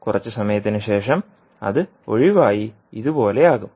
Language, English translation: Malayalam, And after some time it may leave and will become like this